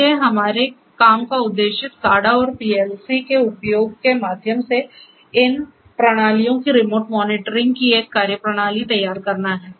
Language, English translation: Hindi, So, the aim of our work is to devise a methodology of a remote monitoring of these systems through the use of SCADA and PLC